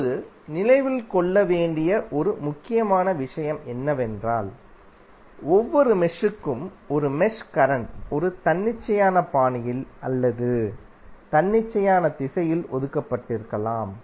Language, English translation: Tamil, Now one important thing to remember is that although a mesh current maybe assigned to each mesh in a arbitrary fashion or in a arbitrary direction